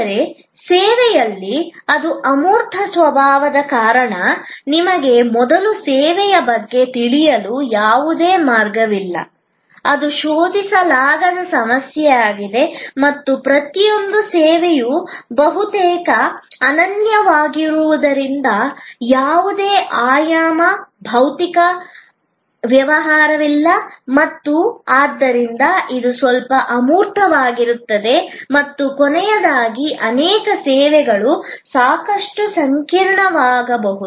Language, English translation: Kannada, But, in service because of it is intangible nature you do not have any way of knowing about the service before that is the non searchability problem and each service being almost unique there is no dimensionalized, physical correspondence and therefore, it becomes somewhat abstract and lastly many services can be quite complex